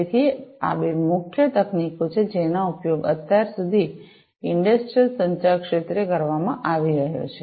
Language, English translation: Gujarati, So, these are the two main technologies, that are being used in the industrial communication sector, so far